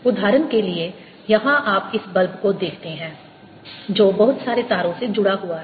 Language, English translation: Hindi, for example, here you see this bulb which is connected to a lot of wires going around